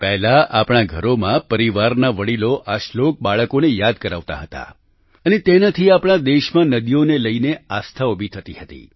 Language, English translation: Gujarati, Earlier, at our homes, the elderly in the family would make children memorise the Shlok …this also led to germinating Aastha, faith towards rivers in our country